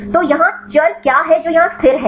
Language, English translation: Hindi, So, what is the variable here what is the constant here